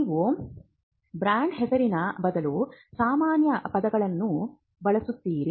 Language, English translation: Kannada, You would use a generic word instead of a brand name